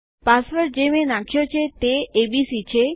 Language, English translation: Gujarati, The password that Ive inputted is abc